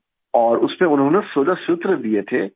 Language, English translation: Urdu, And in that he gave 16 sutras